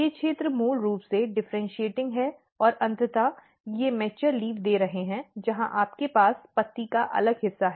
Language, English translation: Hindi, These regions are basically differentiating and eventually they are giving mature leaf where you have this different part of the leaf